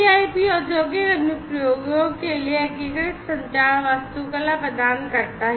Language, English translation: Hindi, And, the CIP provides unified communication architecture for industrial applications